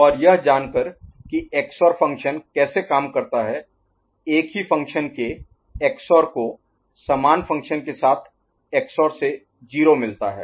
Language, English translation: Hindi, And knowing how XOR function works, XOR of you know XOR of same function with the same XOR of one function with the same function is giving you 0 right